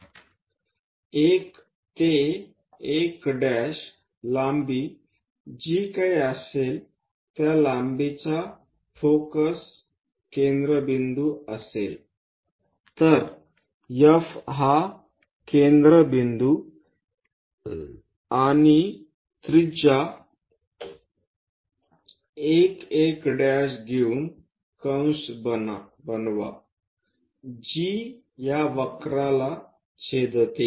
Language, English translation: Marathi, So, whatever 1 to 1 dash length use that length from focus as centre, with F as centre and radius 1 1 dash make an arc which intersect this curve